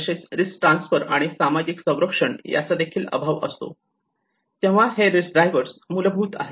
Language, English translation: Marathi, Also lack of access to risk transfer and social protection, so these are the kind of underlying risk drivers